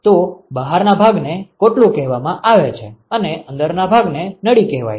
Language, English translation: Gujarati, So, the outer one is called the shell and the inside one is called the tube